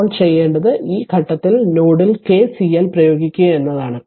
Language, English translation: Malayalam, Now what you do is you apply KCL at node at this point